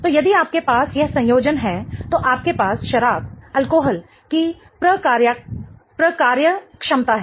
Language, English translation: Hindi, So, if you have this connectivity then you have the alcohol functionality